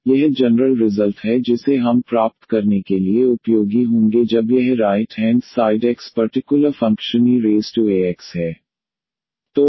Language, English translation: Hindi, So, this is the general result what we will be useful now to derive when this right hand side x is the special function e power a x